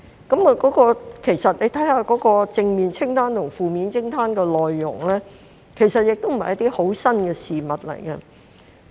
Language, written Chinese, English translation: Cantonese, 大家看看正面清單及負面清單的內容，其實不是甚麼新事物。, If Members read the content of the positive list and the negative list they will realize that it is actually nothing new